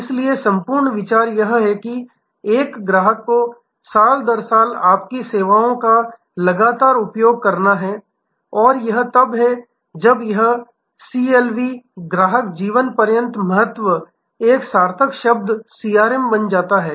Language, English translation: Hindi, So, the whole idea is to have a customer continuously utilizing your services year after year and that is when this CLV becomes a meaningful term a CRM